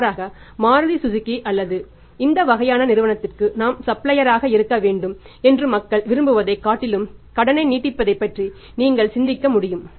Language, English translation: Tamil, So, it means you blind fully you can think of extending the credit rather than people will aspire for we should be supplier for Maruti Suzuki or to this kind of the company